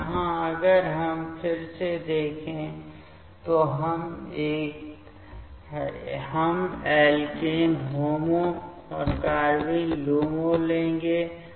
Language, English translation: Hindi, So, here if we see again, we will take the alkene HOMO and carbene LUMO